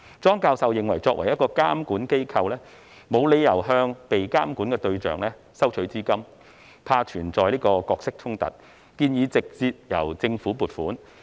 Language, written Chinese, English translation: Cantonese, 莊教授認為，作為一個監管機構，沒理由向被監管的對象收取資金，擔心存在角色衝突，建議直接由政府撥款。, Prof CHONG finds it unreasonable for a regulator to be funded by its regulatees . Worried about the presence of a role conflict he proposed direct allocation of funds by the Government